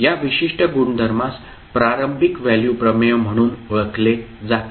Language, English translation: Marathi, So this particular property is known as the initial value theorem